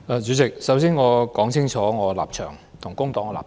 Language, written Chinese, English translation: Cantonese, 主席，首先，我要說清楚我和工黨的立場。, President first of all I would like to make clear the stance that the Labour Party and I take